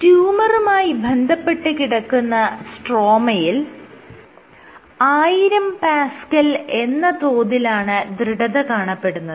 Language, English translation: Malayalam, The stroma which is attached to the tumor is order 1000 pascals